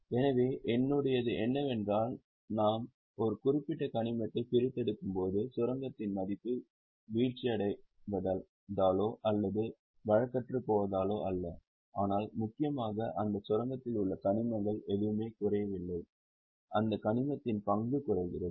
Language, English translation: Tamil, So, in mine what happens is as we are extracting a particular mineral, the value of the mine falls, not by time loss or not by obsolescence, but mainly because whatever is mineral in that mine goes down, the stock of that mineral goes down